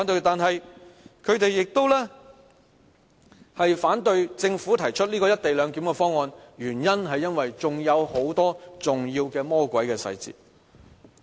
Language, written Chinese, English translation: Cantonese, 但是，他們反對政府提出"一地兩檢"的方案，原因是還有很多重要的魔鬼細節。, They are against the Governments co - location proposal because of their fear of the many devils in the details